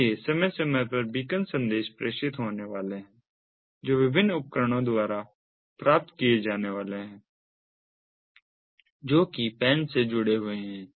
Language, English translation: Hindi, so periodically, beacon messages are going to be transmittedwhich are going to be received by different devices, which one to get associated with the pan and so on